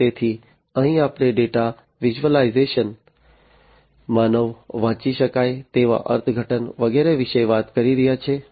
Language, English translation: Gujarati, So, here we are talking about data visualization, human readable interpretation, and so on